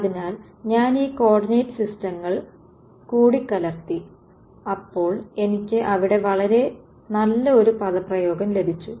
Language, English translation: Malayalam, So, I have mixed up these coordinate systems and I have got a very nice expression over here